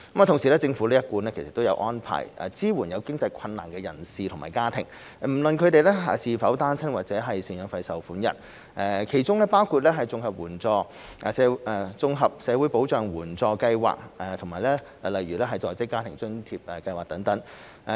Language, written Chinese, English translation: Cantonese, 同時，政府一貫有安排支援有經濟困難的人士及家庭，不論他們是否單親或贍養費受款人，其中包括綜合社會保障援助計劃及在職家庭津貼計劃。, Meanwhile the Government has all along put in place arrangements including the Comprehensive Social Security Assistance CSSA Scheme and the Working Family Allowance WFA Scheme to support persons and families facing economic difficulties regardless of whether they are single parents or maintenance payees